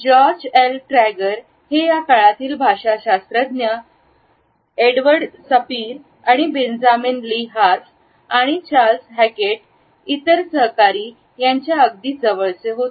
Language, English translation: Marathi, George L Trager was a close associate of Edward Sapir, Benjamin Lee Whorf and Charles Hockett other famous linguist of this era